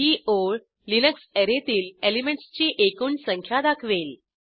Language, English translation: Marathi, This line will display total number of elements in the Array Linux